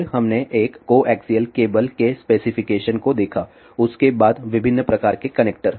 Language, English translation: Hindi, Then we did look at the specification of one of the coaxial cable followed by different types of connector